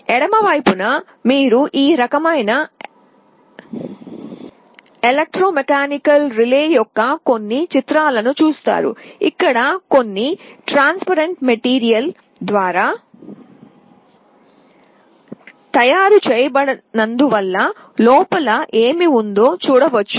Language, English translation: Telugu, On the left you see some pictures of this kind of electromechanical relays, where through a transparent material you can see what is inside